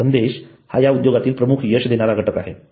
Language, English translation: Marathi, Content is the key success factor in this industry